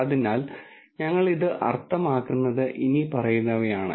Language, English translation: Malayalam, So, what we mean by this is the following